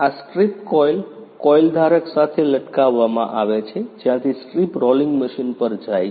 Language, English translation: Gujarati, This strip coil is hanged with coil holder from where strip goes to rolling machine